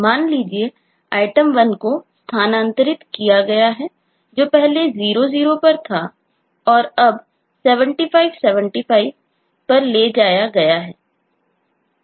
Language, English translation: Hindi, suppose item 1 has been moved, item 1has been moved